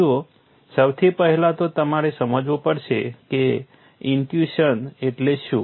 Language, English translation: Gujarati, See first of all you have to understand what intuition is